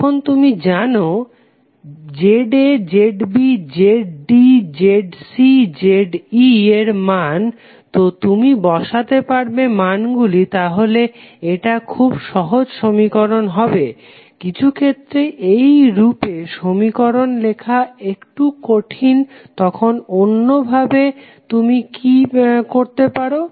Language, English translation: Bengali, Now, if you know the values of Z A, Z B, Z D, Z C, Z E so you can simply put the value it will be very simple equation, sometimes it is difficult to write in this form what you can alternatively do